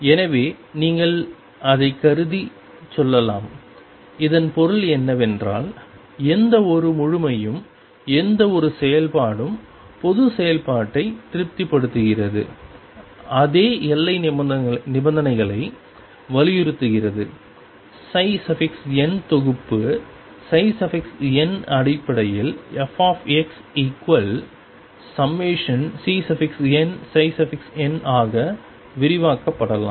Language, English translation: Tamil, So, you can say assuming it, what it means is that any completeness any function general function satisfying the same and that is emphasize same boundary conditions as the set psi n can be expanded in terms of psi n as f x equals summation C n psi n x